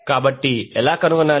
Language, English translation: Telugu, so, how to find